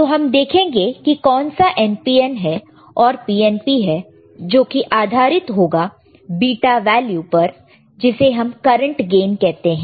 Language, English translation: Hindi, So, we will see which is NPN, which is PNP based on beta which is current gain